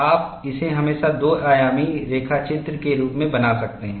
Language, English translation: Hindi, You can always make it as two dimensional sketch